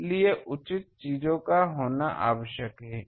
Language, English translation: Hindi, So, proper things need to be